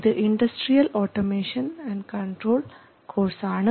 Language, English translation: Malayalam, So, this is a course on industrial automation and control and